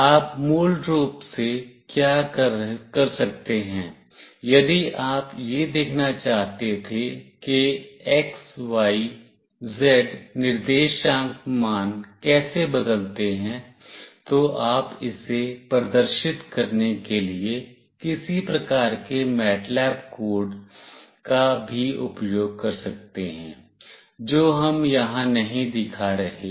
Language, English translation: Hindi, What you can do basically if you wanted to see the how the x, y, z coordinate values change, you can also use some kind of MATLAB code to display it that we are not showing here